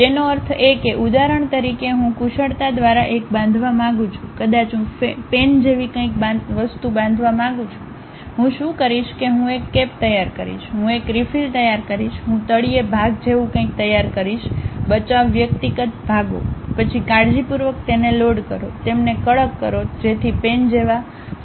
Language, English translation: Gujarati, That means, for example, I want to construct a by skill, maybe I want to construct something like a pen, what I will do is I will prepare a cap, I will prepare a refill, I will prepare something like bottom portion, save individual parts, then carefully load it, tighten them, so that a combined part like a pen can be made